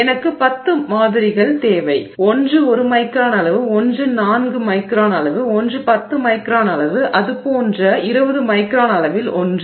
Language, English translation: Tamil, I need maybe 10 samples, one at 1 micron size, 1 at 4 micron size, 1 at 10 micron size, 1 at 20 micron size like that